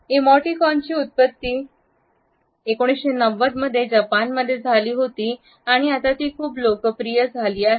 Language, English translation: Marathi, Emoticons originated in Japan in 1990s and have become very popular now